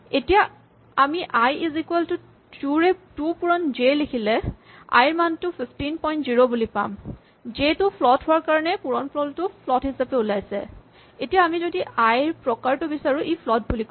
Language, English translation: Assamese, Now if I say i is equal to 2 times j as we suggested i has a value 15 point 0, because j was a float and therefore, the multiplication resulted in a float and indeed if we ask for the type of i at this point it says that i is now a float